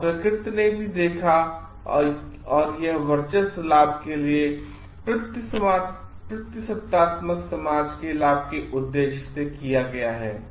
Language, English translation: Hindi, And nature also seen and this domination is for the benefit or for the purpose of the benefit of the patriarchal society